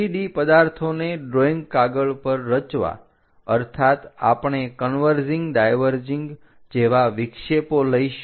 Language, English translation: Gujarati, Constructing 3 D objects on drawing sheets means we are going to induce aberrations like converging diverging kind of things